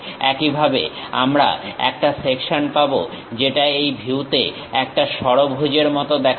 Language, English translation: Bengali, Similarly, we will be having a section which looks like a hexagon in this view